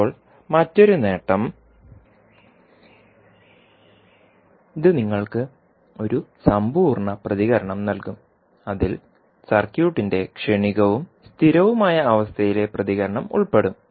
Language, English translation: Malayalam, Now, another advantage is that this will give you a complete response which will include transient and steady state response of the circuit